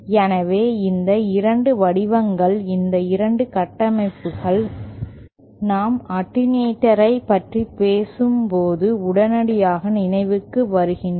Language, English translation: Tamil, So, these 2 shapes, these 2 structures immediately come to mind when we talk about attenuator